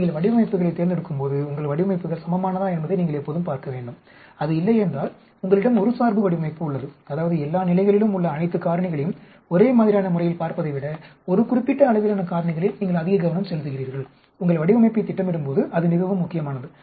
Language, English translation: Tamil, When you select designs later on you should always look whether your designs are balanced, if it is not then you have a biased that means you are focusing more on one particular a level of factor rather than looking at all the factor all the levels in uniform way that is very important when you plan your design